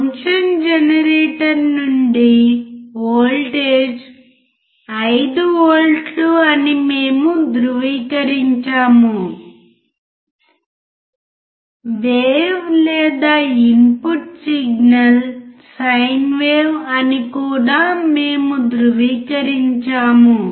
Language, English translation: Telugu, We have also confirmed that the voltage from the function generator is 5V; we have also confirmed that the wave or input signal is sin wave